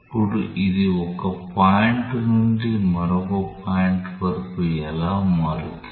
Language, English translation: Telugu, Now, how it varies from one point to another point